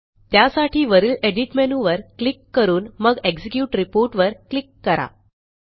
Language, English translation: Marathi, For this, we will click on the Edit menu at the top and then click on the Execute Report